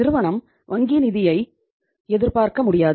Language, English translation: Tamil, Firm cannot expect the bank finance